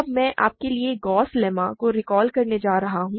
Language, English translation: Hindi, Now, I am going to recall for you the Gauss lemma